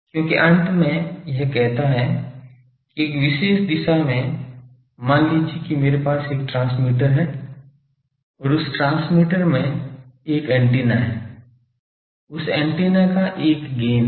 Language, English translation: Hindi, Because at the end of the day it says that in a particular direction, suppose I have a transmitter and that transmitter has a antenna so that antenna has a gain